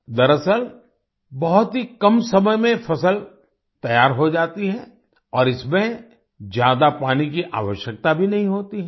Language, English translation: Hindi, In fact, the crop gets ready in a very short time, and does not require much water either